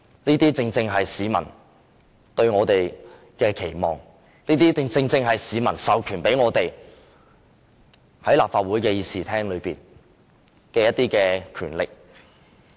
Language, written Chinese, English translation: Cantonese, 這正是市民對我們的期望，亦是市民授予我們在立法會的權力。, That is what the public has expected us to do and the public has given us this power to exercise in the Legislative Council